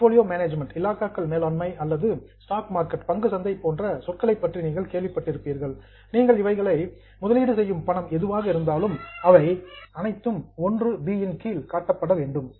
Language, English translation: Tamil, You would have heard of terms like portfolio management or stock market, whatever the money you are putting in there, that is all under 1B